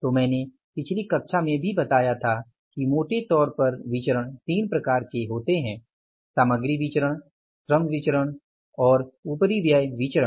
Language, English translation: Hindi, So, I told you in the previous class itself that largely the variances are of three types, material variances, labour variances and overhead variances